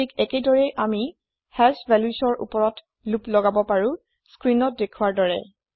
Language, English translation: Assamese, Similarly, we can loop over hash values as shown on the screen